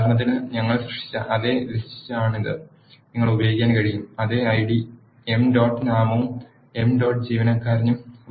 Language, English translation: Malayalam, For example, this is the same list we have created you can use the same ID, emp dot name and emp dot employee